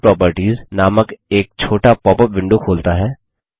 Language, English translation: Hindi, This opens a smaller popup window called Properties